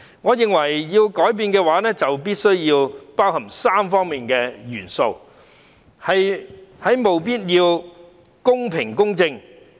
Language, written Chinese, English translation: Cantonese, 我認為，改變必須包含3方面的元素，務必要公平和公正。, In my opinion changes must embrace elements on three fronts and they must be fair and just